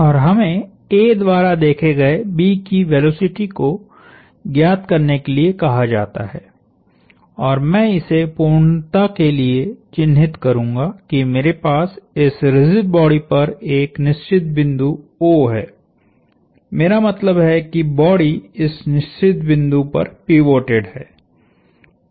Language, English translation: Hindi, And we are asked to find the velocity of B as observed by A and I will just mark this for completeness that I have a fixed point on this rigid body O and that fixed point is, I mean the body is pivoted at that fixed point